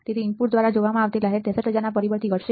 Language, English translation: Gujarati, So, the ripple seen by the input will be reduced by factor of 63000